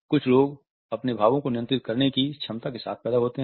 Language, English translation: Hindi, Some people are born with the capability to control their expressions